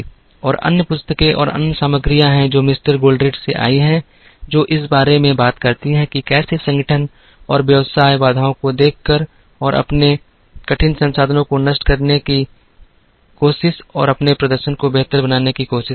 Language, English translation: Hindi, And there are other books and other material that have come from Mr Goldratt, which talks about how organizations and businesses try to make their performance better by looking at bottlenecks and trying to debottleneck their difficult resources